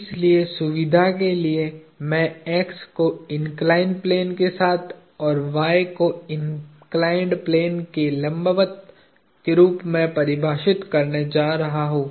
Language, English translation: Hindi, So, for the sake of convenience I am going to define x as being along the inclined plane and y as being perpendicular to the inclined plane